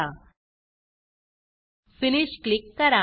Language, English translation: Marathi, And Click Finish